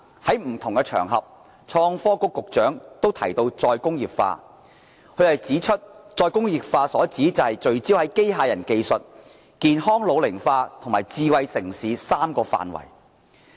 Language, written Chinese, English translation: Cantonese, 創新及科技局局長在不同場合提到再工業化，他指出再工業化所指是聚焦在機械人技術、健康老齡化及智慧城市3個範圍。, The Secretary for Innovation and Technology has mentioned re - industrialization in different occasions pointing out that re - industrialization means focusing on the three areas of robotics healthy ageing and smart city